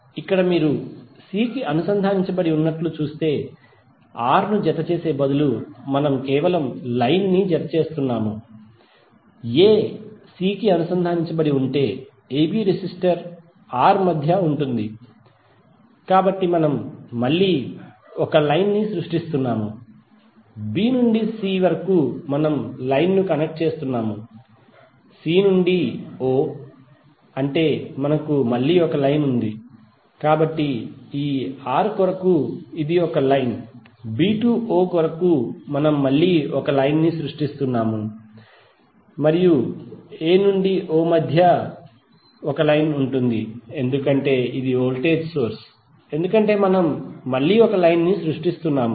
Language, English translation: Telugu, So here if you see a is connected to c, so instead of adding R we are simply adding the line, a is connected to c then between ab resistor R, so we are again creating a line, b to c we are connecting the line, c to o that is again we have one line, so for this R it is the line, for b to o we are again creating the line and between a to o because this is the voltage source we are again creating the line